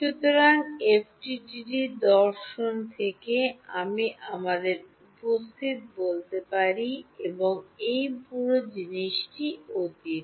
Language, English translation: Bengali, So, from the FDTD philosophy, I have let us say present and this whole thing is past